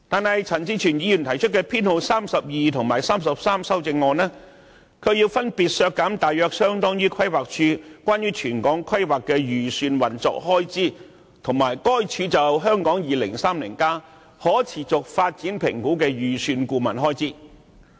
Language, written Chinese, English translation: Cantonese, 可是，朱凱廸議員提出的修正案編號32及 33， 卻分別削減大約相當於規劃署有關全港規劃的預算運作開支，以及規劃署就《香港 2030+》可持續發展評估的預算顧問開支。, However Mr CHU Hoi - dick puts forward Amendment No . 32 and 33 which respectively propose reductions approximately equivalent to Planning Departments estimated operating expenditure on territorial planning and the estimated expenditure on consultancy for the sustainability assessment of Hong Kong 2030